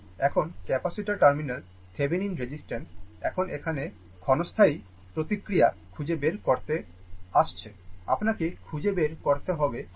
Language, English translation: Bengali, Now, the Thevenin resistance at the capacitor terminals are now here to find out the transient response; you have to find out that R Thevenin right